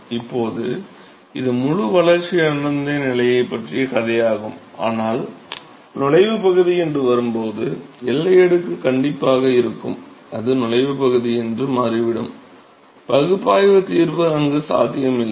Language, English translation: Tamil, So, now, this is all the story about fully developed regime, but when it comes to like entry region, where the boundary layer is definitely present it turns out that the entry region, there is no analytical solution possible